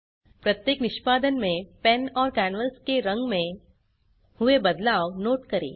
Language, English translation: Hindi, Note the change in the color of the pen and the canvas on each execution